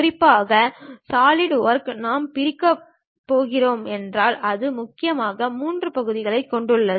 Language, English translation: Tamil, Especially, the Solidworks, if we are going to divide it consists of mainly 3 parts